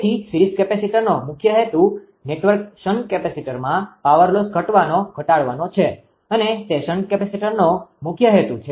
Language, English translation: Gujarati, So, purpose main purpose of the series capacitor is the reduce the power loss in the network shunt capacitor right; main purpose of the shunt capacitor